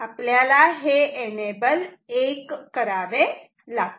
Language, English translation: Marathi, We also have to make enable 1